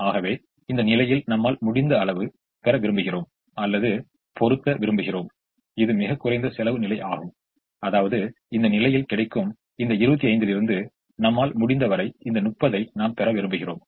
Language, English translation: Tamil, so ideally i would like to get or put as much as we can in this position, which is the least cost position, which means ideally i would like to get as much of this thirty as i can from this twenty five that is available in this position